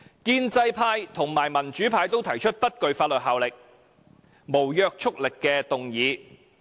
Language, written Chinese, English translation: Cantonese, 建制派和民主派均提出不具法律約束力的議案。, The democratic and pro - establishment camps each moved a non - binding motion